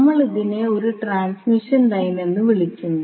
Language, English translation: Malayalam, So, we call them as a transmission line